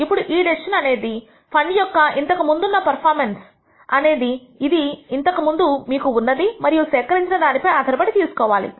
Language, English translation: Telugu, Now this decision has to be made based on past performance of the fund which you have data which you can collect